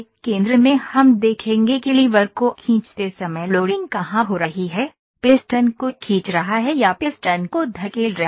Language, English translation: Hindi, At the centre we will see where is the loading happening when one is pulling the lever, pulling the piston or put pushing the piston in